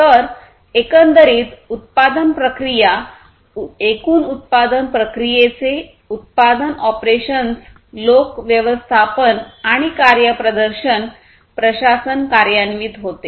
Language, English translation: Marathi, So, overall production process basically, production operations of the overall production process, people management and performance governance